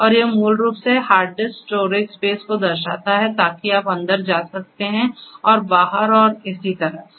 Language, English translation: Hindi, And also this basically shows the hard disk storage space right, so you could get in go back and so on